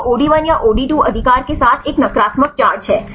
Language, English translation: Hindi, It is a negative charge with OD1 or OD2 right